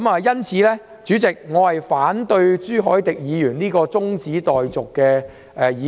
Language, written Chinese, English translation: Cantonese, 因此，代理主席，我反對朱凱廸議員提出的中止待續議案。, Therefore Deputy President I oppose the adjournment motion moved by Mr CHU Hoi - dick